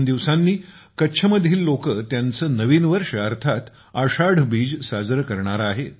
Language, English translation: Marathi, Just a couple of days later, the people of Kutch are also going to celebrate their new year, that is, Ashadhi Beej